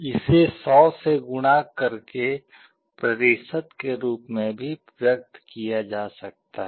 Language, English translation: Hindi, This can also be expressed as a percentage by multiplying by 100